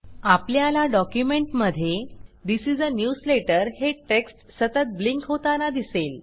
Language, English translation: Marathi, We see that the text This is a newsletter constantly blinks in the document